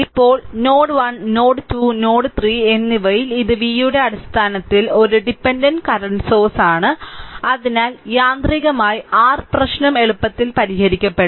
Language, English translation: Malayalam, Now, at node 1 node 2 and node 3, but remember that ah here it is a dependent current source in terms of v so, automatically ah your ah your problem will be easily solved